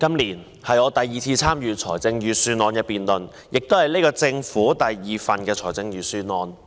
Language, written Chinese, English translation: Cantonese, 今年是我第二次參與財政預算案辯論，這亦是現屆政府的第二份預算案。, This is the second time I take part in a budget debate and likewise it is the second Budget of the current - term Government